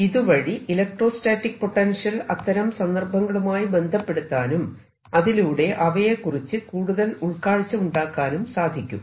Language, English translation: Malayalam, that also helps us in connecting the electrostatic potential with those situations and may give us some insight